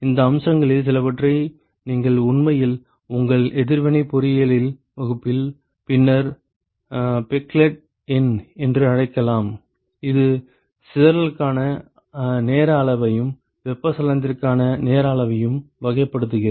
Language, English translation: Tamil, Some of this aspect you will actually see in your reaction engineering class later something called a Peclet number, which characterizes the time scale for dispersion and time scale for convection and